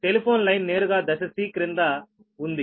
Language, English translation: Telugu, the telephone line is located directly below phase c